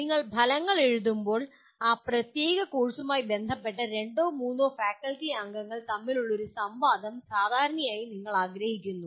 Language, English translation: Malayalam, And when you write outcomes, generally you want a discourse between the two or three faculty members who are concerned with that particular course